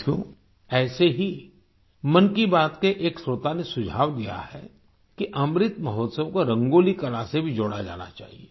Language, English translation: Hindi, similarly a listener of "Mann Ki Baat" has suggested that Amrit Mahotsav should be connected to the art of Rangoli too